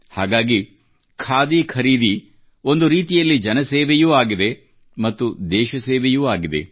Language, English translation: Kannada, That is why, in a way, buying Khadi is service to people, service to the country